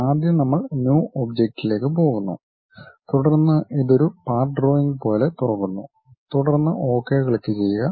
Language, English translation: Malayalam, Again first we go to this object New, then it opens something like a Part drawing, click then Ok